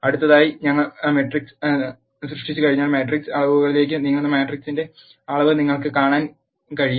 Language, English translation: Malayalam, Next we move on to matrix metrics once a matrix is created how can you know the dimension of the matrix